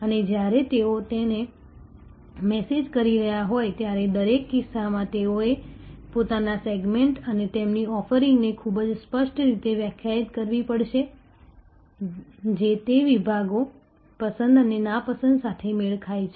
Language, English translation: Gujarati, And when they are managing it, in each case they will have to very clearly define their segments and their offerings which match that segments, likes and dislikes